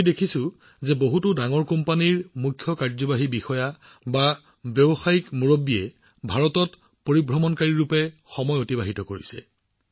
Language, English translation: Assamese, We have seen that CEOs, Business leaders of many big companies have spent time in India as BackPackers